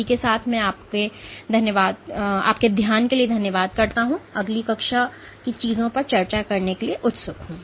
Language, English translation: Hindi, With that, I thank you for your attention I look forward to discussing things next class